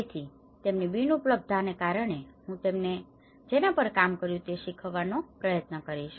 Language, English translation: Gujarati, So, because of his non availability, I am trying to learn from what he has worked